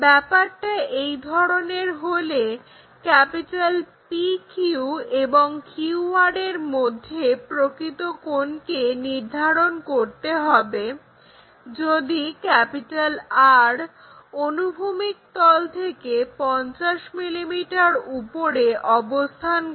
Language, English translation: Bengali, If that is the case, determine the true angle between PQ and QR, if point R is 50 mm above horizontal plane